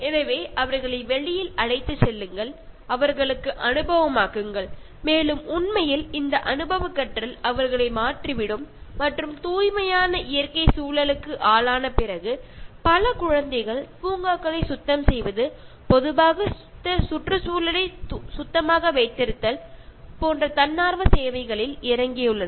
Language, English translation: Tamil, So, take them outdoor, make them experience and that experiential learning will actually change them and many children after getting exposed to pure natural environment have gone into volunteering services such as cleaning the parks, okay, keeping the environment clean in general